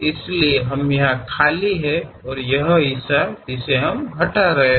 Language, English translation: Hindi, So, we have empty here and this is the part which we are removing